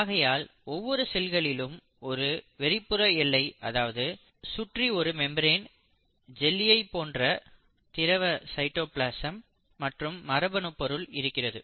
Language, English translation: Tamil, So each cell consists of an outer boundary, the outer membrane, the jellylike fluid called the cytoplasm and the genetic material within the cell